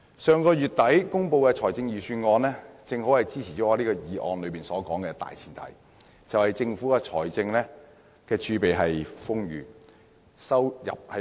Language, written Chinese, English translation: Cantonese, 上月底公布的財政預算案也跟本議案的大前提吻合，就是政府的財政儲備豐裕，收入穩健。, The Budget announced late last month is in agreement with the premise of this motion that is the Government is enjoying ample fiscal reserves and fiscal stability